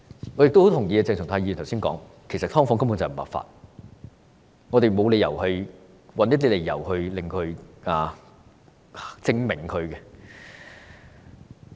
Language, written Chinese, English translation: Cantonese, 我十分贊同鄭松泰議員剛才所說，其實"劏房"根本不合法，我們沒有理由要尋找一些理由來為它正名。, I very much agree with what Dr CHENG Chung - tai said just now . Subdivided units are actually illegal . It is unreasonable to find some justifications to clear their name